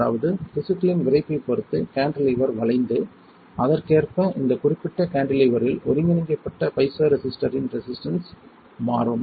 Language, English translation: Tamil, That means, that depending on the stiffness of tissue the cantilever will bend and correspondingly the resistance of the piezoresistor which is integrated on to this particular cantilever will change